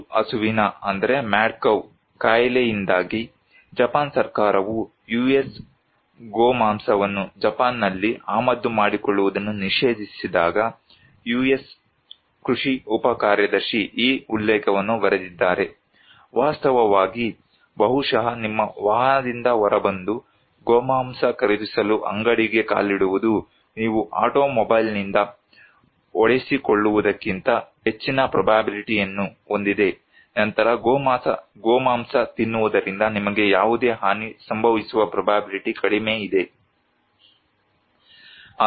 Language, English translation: Kannada, When because of mad cow disease, when the Japan government ban importing US beef in Japan, the US agricultural undersecretary wrote this quote “in fact, the probably getting out of your automobile and walking into the store to buy beef has higher probability than you will hit by an automobile than, then the probability of any harm coming to you from eating beef”